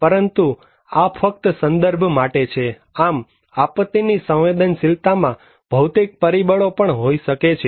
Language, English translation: Gujarati, But this is just for as a reference; we can have also physical factors of disaster vulnerability